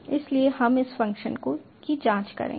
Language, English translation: Hindi, so will check out this function